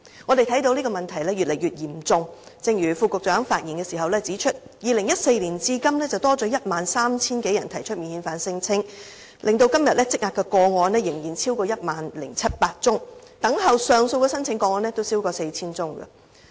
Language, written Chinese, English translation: Cantonese, 我們看到問題已越來越嚴重，正如副局長在發言時指出 ，2014 年至今已有 13,000 多人提出免遣返聲請，今天累積的個案仍然超過 10,700 宗，等候上訴的申請個案亦超過 4,000 宗。, The problem has become increasingly serious . As pointed out by the Under Secretary when he spoke over 13 000 people have made non - refoulement claims since 2014; and to date there are still a backlog of over 10 700 non - refoulement claims pending screening and over 4 000 cases pending appeal